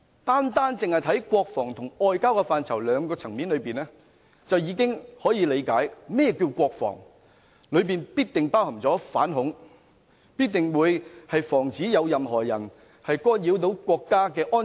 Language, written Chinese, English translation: Cantonese, 單看國防和外交這兩個層面，我們已可理解甚麼是國防，當中必定包含反恐，亦必須防止任何人干擾國家安全。, Simply reading from the literal meaning of defence and foreign affairs we can readily interpret what does it mean by defence in which it must include anti - terrorism . It must also cover the prevention of anyone from interrupting national security